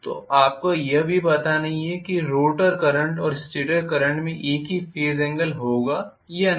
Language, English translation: Hindi, And you do not even know whether the rotor current and stator current will have same phase angle